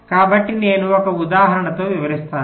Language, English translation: Telugu, i will illustrate with this